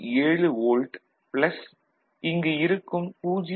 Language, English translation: Tamil, 7 volt over here, and 0